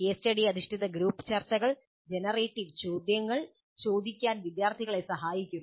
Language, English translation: Malayalam, Case study based group discussions may help students in learning to ask generative questions